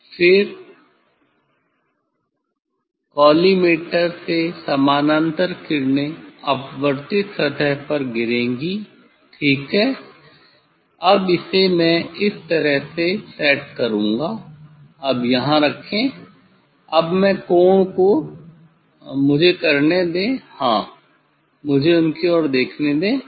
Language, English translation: Hindi, then the parallel rays from collimator will fall on the refracted surface, ok; this I will set this way put here now, now I will change the angle of let me just yes let me look at them